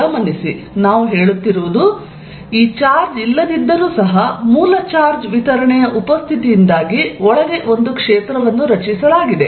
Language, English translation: Kannada, So, notice, what we are saying is, even if this charge is not there, due to the presence of this original charge distribution of field is created inside